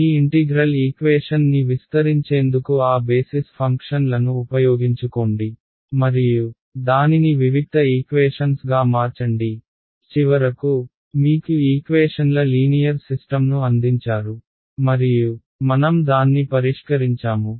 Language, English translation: Telugu, Then use those basis functions to simplify your expand your integral equation and convert it into a discrete set of equations which finally, gave you a linear system of equations and we solved it